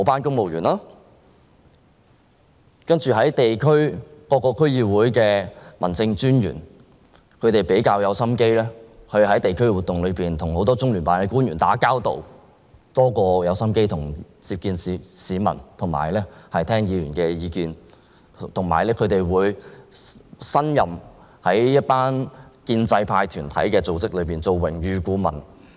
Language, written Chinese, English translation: Cantonese, 此外，各個區議會的民政專員會在地區活動上跟很多中央人民政府駐香港特別行政區聯絡辦公室的官員打交道，相較於接見市民和聆聽議員意見，他們花在這方面的心機更多，而且，他們會擔任建制派團體組織的榮譽顧問。, Moreover District Officers working with various District Councils will socialize with many officials of the Liaison Office of the Central Peoples Government in the Hong Kong Special Administrative Region during some district activities . The efforts they put into this area of work are much greater than those they made in meeting members of the public and listening to District Council members views . What is more they will serve as honorary advisors to pro - establishment groups and organizations